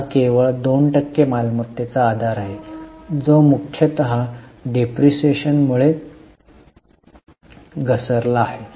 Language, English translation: Marathi, It's almost same base of asset, only 2% change that to fall mainly because of depreciation